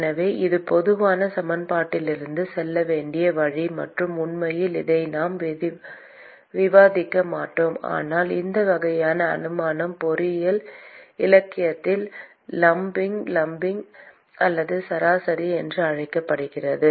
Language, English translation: Tamil, So, this is the way to go from the generalized equation and in fact, we will not discuss this, but this sort of assumption is called lumping lumping or averaging in engineering literature